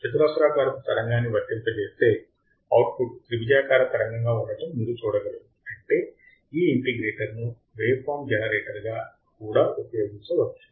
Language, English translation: Telugu, And you will be able to see that on applying the square wave the output will be triangular wave; that means, this integrator can also be used as a waveform generator